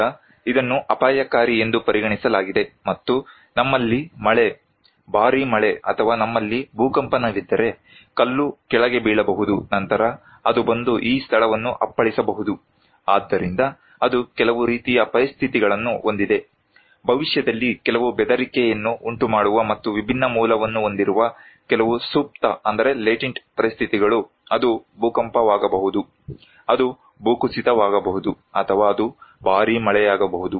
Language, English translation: Kannada, Now, this one is considered to be risky and with this stone can fall, if we have rainfall; heavy rainfall or if we have earthquake, then it will come and hit this place so, it has some kind of conditions; some latent conditions that may trigger some threat in future and can have different origin, it could be earthquake, it could be a landslides, it could be heavy rainfall